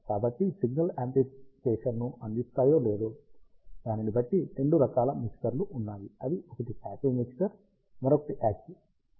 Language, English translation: Telugu, So, there are two types of mixers, depending on whether they provide signal amplification or not, one is a passive mixer, another one is an active mixer